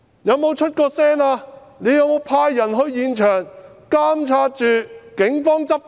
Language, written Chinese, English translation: Cantonese, 有沒有派人到現場監察警方執法？, Did it send anyone to the scenes to monitor law enforcement by the Police?